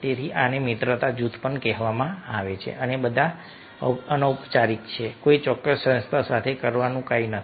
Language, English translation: Gujarati, so this is called friendship group and these all are informal, nothing to do with some particular organization to do